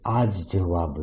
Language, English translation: Gujarati, that's the answer